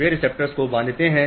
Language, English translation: Hindi, The receptors bind